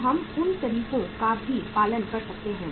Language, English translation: Hindi, So we can follow those methods also